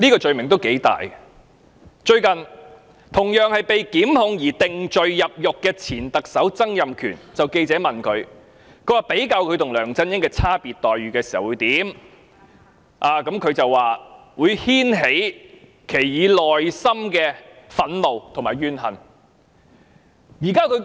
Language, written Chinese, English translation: Cantonese, 事緣同樣因被檢控而定罪入獄的前特首曾蔭權近日被記者問及他對自己與梁振英的待遇差別有何感覺時表示"會牽起以往內心的憤怒和怨恨"。, It originated from the remarks made by Mr Donald TSANG the former Chief Executive who also faced prosecution and was put behind bars upon conviction on his being asked by reporters recently how he felt about the difference in treatment for himself and Mr LEUNG Chun - ying . TSANG said This would trigger the past anger and resentment in my heart